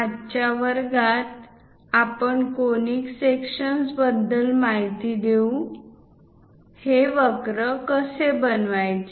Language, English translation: Marathi, In today's class, I will cover on Conic Sections; how to construct these curves